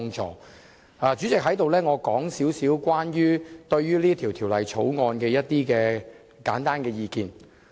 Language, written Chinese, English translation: Cantonese, 代理主席，我想在此就這項《條例草案》提出一點簡單的意見。, Deputy President I would like to put forth some simple views on the Bill here